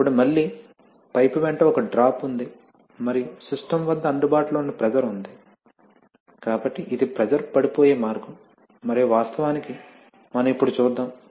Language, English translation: Telugu, Then again there is a drop at along the pipe and then the available pressure at the system is there, so this is the way the pressure drops and actually as we shall see now